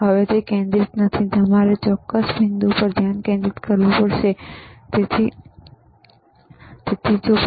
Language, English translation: Gujarati, Now it is not focused, you have to focus certain point so, focus is there ok